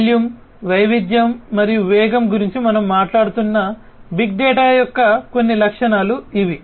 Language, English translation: Telugu, So, these are some of these characteristics of big data we are talking about volume, variety and velocity